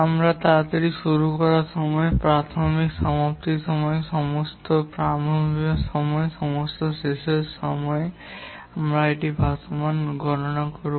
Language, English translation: Bengali, We will compute the earliest start time, the earliest finish time, the latest start time, the latest finish time and the float